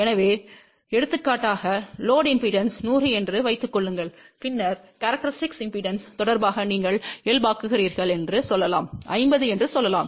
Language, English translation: Tamil, So, for example, let say if the load impedance is suppose 100 , then you normalize with the respect to characteristic impedance let say that is 50